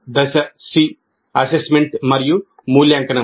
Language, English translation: Telugu, Then phase C is assessment and evaluation